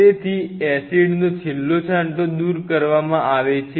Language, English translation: Gujarati, So, that the last trace of acid is kind of removed